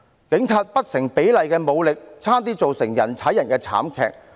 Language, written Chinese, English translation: Cantonese, 警方不成比例的武力，差點釀成人踩人慘劇。, The disproportionate force used by the Police nearly caused a stampede